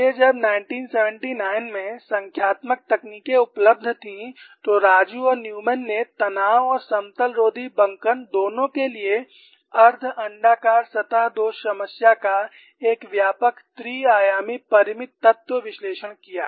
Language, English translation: Hindi, So, when numerical techniques were available in 1979, Raju and Newman undertook a comprehensive three dimensional finite element analysis of the semi elliptical surface flaw problem for both tension and antiplane bending